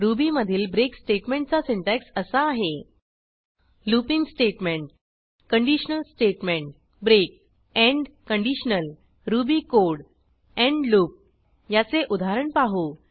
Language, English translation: Marathi, The syntax for the break statement in Ruby is a looping statement a conditional statement break end conditional ruby code end loop Let us look at an example